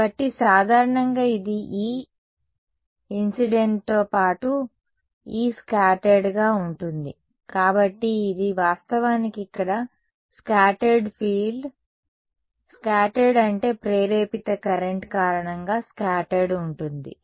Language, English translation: Telugu, So, in general this is going to be E incident plus E scattered right, so this is actually this scattered field over here; scattered means, scattered by the I mean due to the induced current